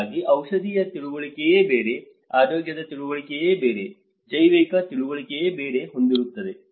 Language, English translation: Kannada, So, there is pharmaceutical understanding is different, there is a health understanding, there is a biological understanding is different